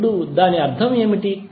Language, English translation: Telugu, Now what does it mean